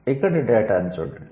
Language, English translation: Telugu, Look at the data here